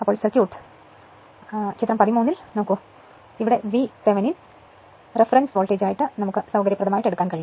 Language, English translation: Malayalam, The circuit then reduces to figure 13 in which it is convenient to taken V Thevenin as the reference voltage